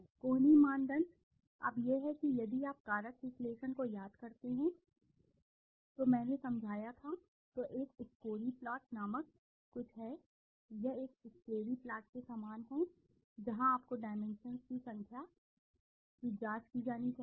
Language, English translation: Hindi, Elbow criteria, now this is if you remember factor analysis I explained, there is something called a scree plot, a scree plot, this is similar to a scree plot where you find out the dimensions, number of dimensions that should be examined